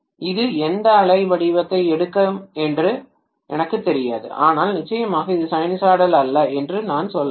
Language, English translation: Tamil, I don’t know what wave shape it will take, but I can say is definitely it is non sinusoidal